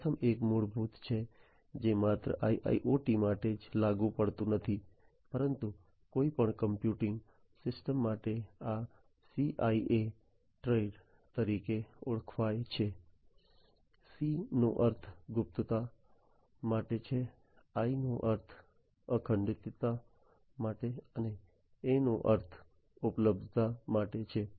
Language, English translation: Gujarati, The first one is the basic one the fundamental one which is not only applicable for IIoT but for any computing system, this is known as the CIA Triad, C stands for confidentiality, I stands for integrity and A stands for availability